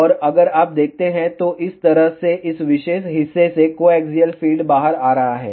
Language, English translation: Hindi, And from the side if you see, this is how the coaxial feed is coming out from this particular portion over here